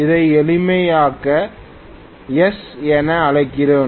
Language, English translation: Tamil, Let me call this as S for simplicity